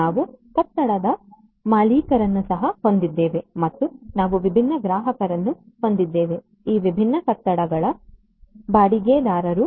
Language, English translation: Kannada, We also have a building owner and we have different customers, tenants of these different buildings